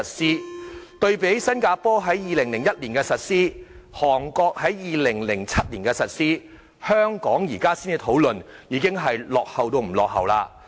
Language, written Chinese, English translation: Cantonese, 相對於新加坡在2001年實施，韓國在2007年實施，香港現在才討論，已經落後了很多。, Compared with Singapore and Korea where such measures were implemented in 2001 and 2007 respectively Hong Kong is lagging far behind as our discussion has just started now